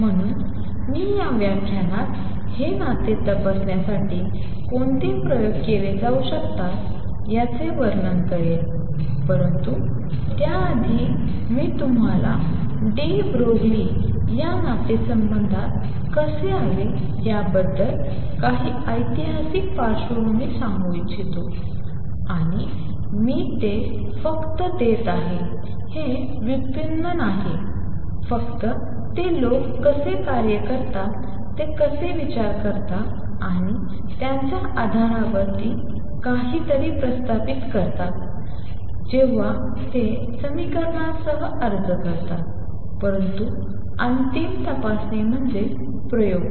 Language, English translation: Marathi, So, I will describe in this lecture what experiments can be performed to check this relationship, but before that I will just want to give you some sort of historical background has to how de Broglie arrived at this relationship, and I am just giving it is not a derivation it just that how people work how they think and propose something on the basis of they when they applying around with equations, but the ultimate check is experiments